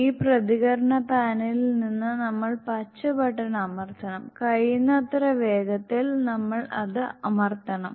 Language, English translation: Malayalam, Then we have to press the green button from this response panel, as soon as possible as quick as possible we can press it